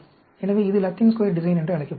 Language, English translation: Tamil, So, this is called Latin Square Design